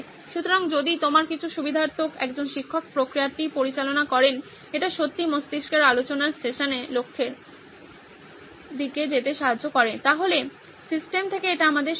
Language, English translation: Bengali, So if you have some facilitator, a teacher guiding the process, it really helps the brainstorming session to go towards the goal, is our recommendation from the system